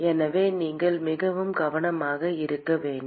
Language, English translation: Tamil, So, you have to be very careful